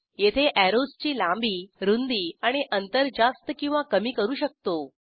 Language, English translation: Marathi, Here we can increase or decrease Length, Width and Distance of the arrows